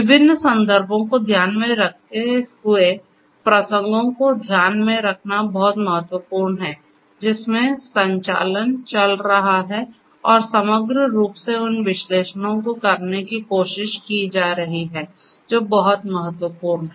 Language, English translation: Hindi, Context is very important you know taking into account taking into account the different contexts in which the operations are going on and holistically trying to have the analytics that is very important